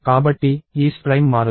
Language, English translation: Telugu, So, its prime does not change